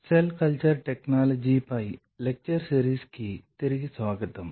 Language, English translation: Telugu, Welcome back to the lecture series on Cell Culture Technology